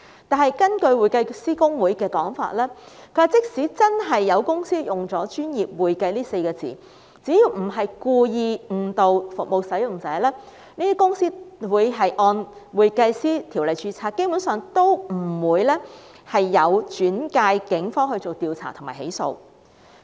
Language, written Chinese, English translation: Cantonese, 然而，根據香港會計師公會的說法，即使真的有公司使用"專業會計"這稱謂，只要不是故意誤導服務使用者，他們會按《專業會計師條例》註冊，基本上也不會轉介警方調查及起訴。, According to HKICPA even if some companies really use the description professional accounting the cases will basically not be referred to the Police for investigation and prosecution if the companies do not intend to mislead service users and arrangements may be made to register the companies under the Professional Accountants Ordinance